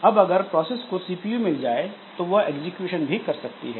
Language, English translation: Hindi, So, now if the process gets CPU, so it can do the execution